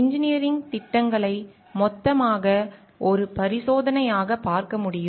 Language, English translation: Tamil, Engineering projects as it can be viewed as a total, as totality as an experiment